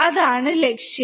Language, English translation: Malayalam, That is the goal